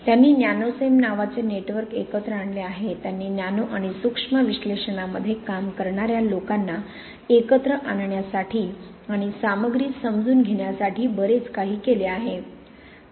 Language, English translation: Marathi, She has also brought to put together a network called Nanocem which has done a lot to propagate and bring together people who work in nano and micro analysis and understanding of materials